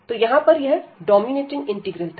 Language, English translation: Hindi, So, here this was a dominating integral